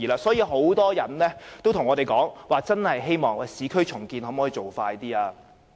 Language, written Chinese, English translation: Cantonese, 所以，很多人向我們表示，希望市區重建的步伐可以加快。, Therefore many people have indicated to us that they hoped that the pace of urban renewal could be expedited